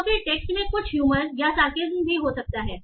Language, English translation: Hindi, So, so then the text can also contain some humor or sarcasm